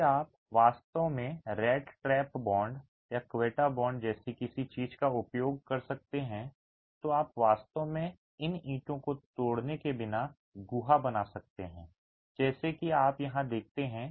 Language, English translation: Hindi, If you can actually use something like the rat trap bond or the quetta bond, you can create a cavity without having to break these bricks into funny patterns like the one that you see here